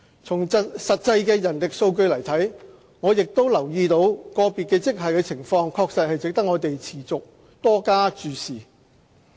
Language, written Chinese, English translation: Cantonese, 從實際的人力數據來看，我亦留意到個別職系的情況確實值得我們持續多加注視。, Viewing from the actual manpower data I have also noted that the situation of certain grades deserves our continual concerns